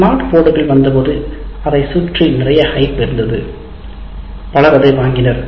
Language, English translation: Tamil, When the smart boards came, there was a lot of hype around that